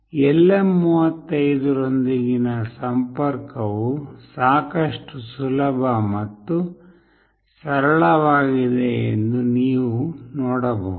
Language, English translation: Kannada, You can see that the connection with LM35 is fairly straightforward and fairly simple